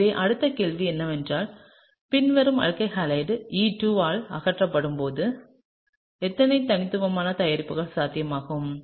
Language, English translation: Tamil, So, the next question is how many distinct products are possible when the following alkyl halide undergoes elimination by E2